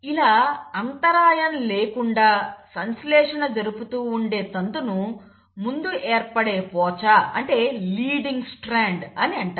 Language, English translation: Telugu, This strand which is continuously synthesised is called as the leading strand